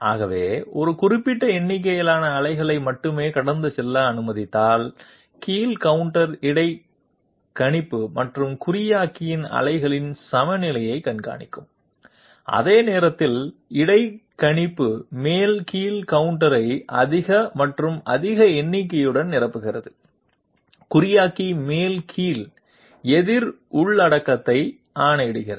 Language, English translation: Tamil, So if we only allow a specific number of pulses to be pass through, the down under keeps track of the balance of the pulses of the interpolator and the encoder, while the interpolator is filling up the up down counter with higher and higher number, the encoder is going on the decrementing the up down counter content